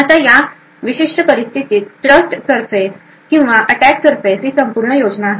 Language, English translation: Marathi, Now the trust surface or the attack surface in this particular scenario is this entire scheme